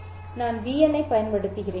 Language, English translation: Tamil, I will be using BN